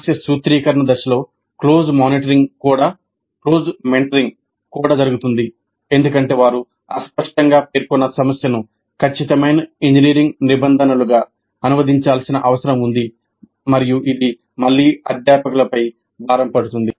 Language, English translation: Telugu, And close mentoring during problem formulation stage also happens because they need to translate the fuzzily stated problem into precise engineering terms